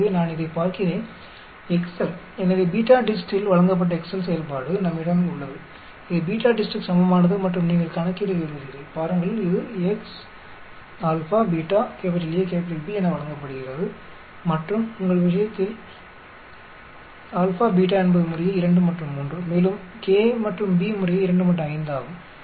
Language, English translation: Tamil, So, let me look at it, excel, so we have the excel function which is given by BETADIST, equal to BETADIST and you want to calculate at, see, it is given as x, Alpha, Beta, A, B so in your case alpha and beta is 2 and 3 respectively A and B is 2 and 5 respectively